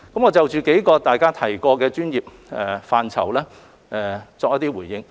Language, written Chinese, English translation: Cantonese, 我就大家提及的數個專業範疇作回應。, In response I would like to speak on some of the professional areas mentioned by Members